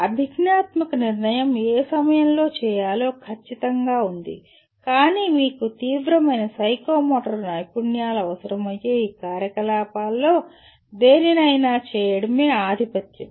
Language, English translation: Telugu, There is exactly what to do at what time is a cognitive decision but the dominance is to perform any of these activities you require extreme psychomotor skills